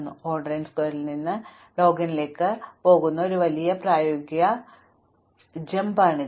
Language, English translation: Malayalam, That is a huge practical jump going from O n square to n log n